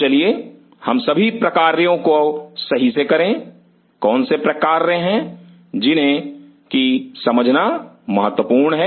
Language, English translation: Hindi, So, let us get all the functions right, what are the functions what are important to understand